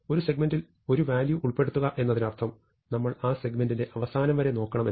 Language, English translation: Malayalam, So, inserting a value means we have to walk down that segment till the very end